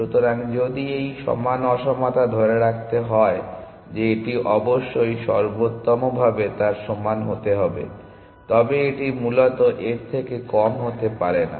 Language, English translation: Bengali, So, if this equal inequality must hold; that it must be at best equal to that, but it cannot be less in that essentially